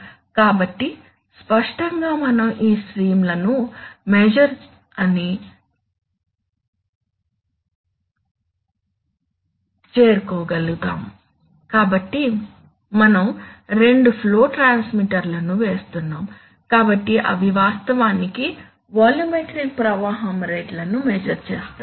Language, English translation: Telugu, So obviously to be able to reach that we have to measure these streams, so we are putting two flow transmitters, so they actually measure the volumetric flow rates